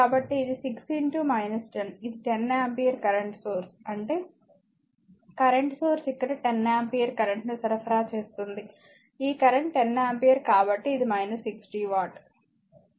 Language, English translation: Telugu, So, this is your 6 into minus 10, this is the 10 ampere current source say is that current source supplying 10 ampere current here this current is 10 ampere so, it is minus 60 watt